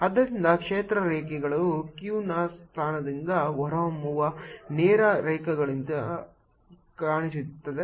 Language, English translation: Kannada, so the field lines are going to look like straight lines emanating from the position of q